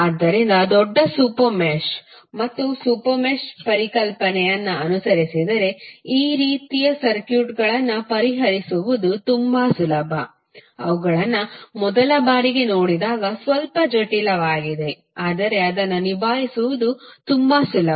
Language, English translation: Kannada, So, if you follow the concept of larger super mesh and the super mesh it is very easy to solve these kind of circuits which looks little bit complicated when you see them for first time but it is very easy to handle it